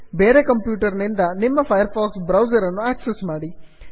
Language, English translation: Kannada, Access your firefox browser from another computer